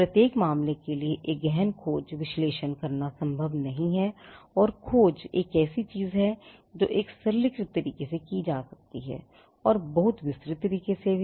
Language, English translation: Hindi, It is not possible to do an in depth search analysis for every case and search is again something that could be done in a simplistic way, and also in a very detailed way